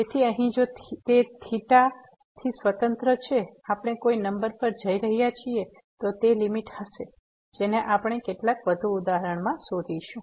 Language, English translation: Gujarati, So, here if it is independent of theta we are approaching to some number then that would be the limit we will explore this in some more example